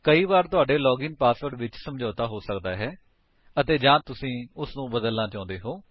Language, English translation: Punjabi, Sometimes your login password may get compromised and/or you may want to change it